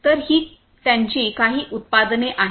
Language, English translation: Marathi, So, these are some of their products